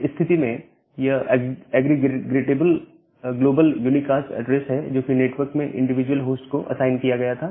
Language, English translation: Hindi, If that is the case then, it is the aggregatable global unicast address, which is assigned to individual host in the network